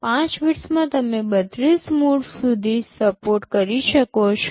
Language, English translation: Gujarati, In 5 bits you can support up to 32 modes